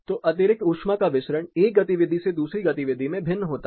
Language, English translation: Hindi, So, the excess heat which needs to be dissipated considerably varies from one activity to the other activity